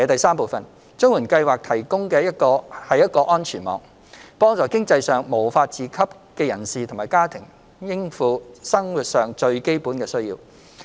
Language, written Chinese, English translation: Cantonese, 三綜援計劃提供一個安全網，幫助經濟上無法自給的人士及家庭應付生活上最基本的需要。, 3 The CSSA Scheme provides a safety net to help persons and families who cannot support themselves financially to meet their basic needs